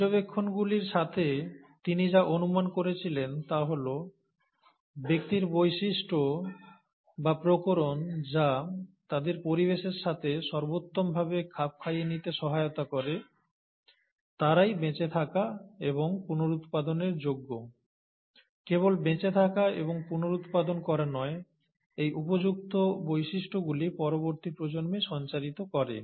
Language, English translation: Bengali, So, with his observations, what he observed and rather postulated is that individuals with traits, or rather variations which allow them to best adapt to the environment are most likely to survive and reproduce, and not only just survive and reproduce, but pass on these favourable characters to the next generation